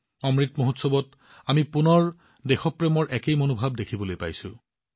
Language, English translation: Assamese, We are getting to witness the same spirit of patriotism again in the Amrit Mahotsav